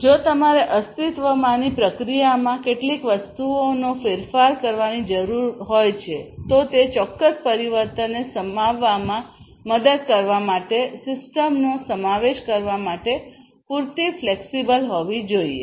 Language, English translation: Gujarati, If you need to introduce certain things in an existing process, the system should be flexible enough in order to incorporate in order to help in incorporate incorporating that particular change